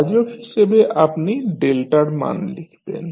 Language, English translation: Bengali, In the denominator you will write the value of delta